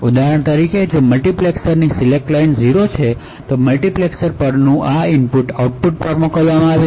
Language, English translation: Gujarati, So, for example, if the multiplexers select line is 0 then this input at the multiplexers is sent to the output